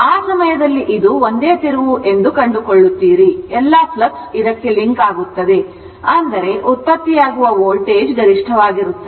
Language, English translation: Kannada, At that time, this if you if you imagine, you will find it is a single turn, you will find all the flux will link to this; that means, voltage generated will be maximum, right